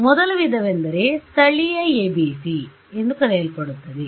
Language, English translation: Kannada, So, the first variety is what is what would be called local ABC ok